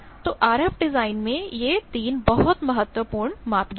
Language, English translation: Hindi, So, these are the three very important parameters in RF design